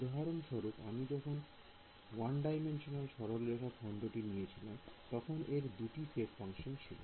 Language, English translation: Bengali, So, for example, when I took the 1 D line segment over here this had 2 shape functions right